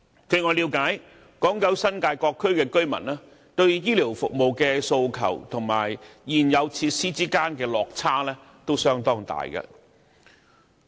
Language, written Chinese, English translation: Cantonese, 據我了解，港九新界各區居民對醫療服務的訴求與現有設施之間的落差相當大。, To my understanding there is a significant gap between public demands and existing facilities in various districts throughout Hong Kong